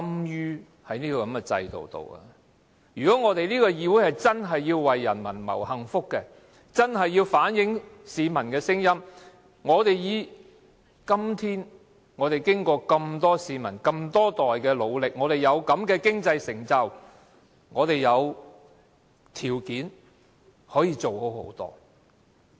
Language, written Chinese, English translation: Cantonese, 如果這個議會真的要為人民謀幸福，真的要反映市民的聲音，經過這麼多市民、這麼多代人的努力，我們今天有這樣的經濟成就，我們有條件可以做得更好。, Well if this legislature is to work for the well - being of the people and reflect their voices we should realize that with the present economic achievement made possible by successive generations of people we are now in a very good position to make things much better than before